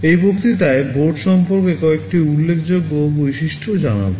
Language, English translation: Bengali, In this lecture we shall be telling you some notable features about the board